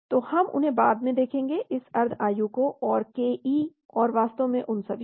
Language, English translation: Hindi, So we will look at them later also this half life and ke and all that actually